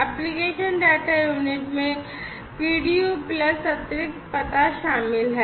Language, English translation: Hindi, And, the application data unit includes the PDU plus the additional address